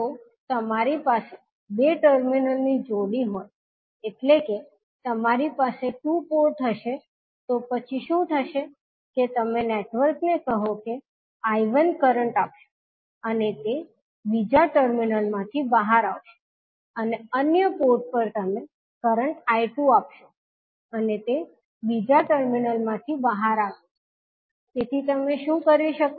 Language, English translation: Gujarati, If you have pair of two terminals means you will have two ports, then what will happen that you will give current to the network say I1 and it will come out from the other terminal and at the other port you will give current I2 and it will come out from the other terminal, so what you can do you